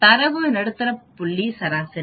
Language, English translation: Tamil, Median is the middle point of the data set